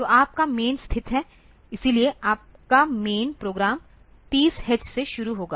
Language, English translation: Hindi, So, your main is located; so, your main program will start from 30 h onwards